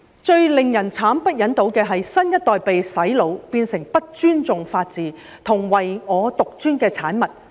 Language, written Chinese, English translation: Cantonese, 最令人慘不忍睹的是新一代被"洗腦"，變成不尊重法治及唯我獨尊的產物。, What is most awful is that the new generation has been brain - washed and turned into egotists who disrespect the rule of law